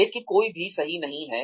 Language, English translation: Hindi, But, nobody is perfect